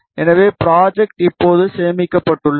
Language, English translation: Tamil, So, the project is now saved